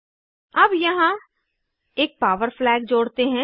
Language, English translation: Hindi, Let us connect a power Flag here